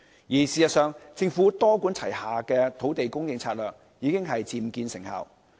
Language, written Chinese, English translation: Cantonese, 事實上，政府多管齊下的土地供應策略已經漸見成效。, As a matter of fact the Governments multi - pronged land supply strategy is beginning to produce results